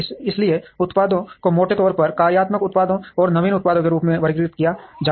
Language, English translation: Hindi, So products are broadly classified as functional products and innovative products